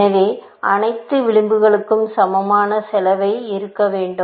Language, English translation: Tamil, So, all edges were supposed to be of equal cost